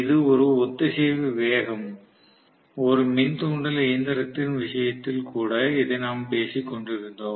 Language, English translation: Tamil, This is the synchronous speed, what we were talking about, even in the case of induction machine